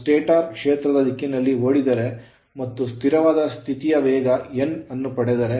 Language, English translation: Kannada, Now if it rotate it runs in the direction of the stator field and acquire a steady state speed of n right